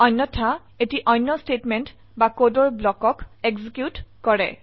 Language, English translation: Assamese, Else it executes another statement or block of code